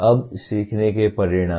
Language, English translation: Hindi, Now, outcomes of learning